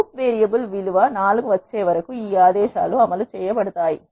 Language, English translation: Telugu, These commands get executed until the loop variable has a value 4